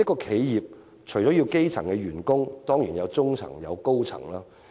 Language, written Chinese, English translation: Cantonese, 企業除了有基層員工，當然也有中層和高層員工。, Apart from hiring low - ranking staff enterprises need to hire mid - ranking and high - ranking staff too